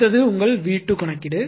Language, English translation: Tamil, Next is that your V 2 calculation